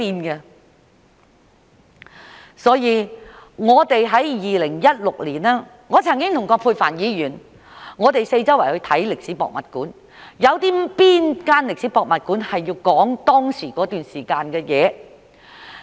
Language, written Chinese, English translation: Cantonese, 因此，在2016年，我曾經和葛珮帆議員四處參觀歷史博物館，看看有哪間歷史博物館載述那段時間的事？, It can neither be buried nor altered . For this reason in 2016 Ms Elizabeth QUAT and I visited various history museums to find out which museums had told the stories during that time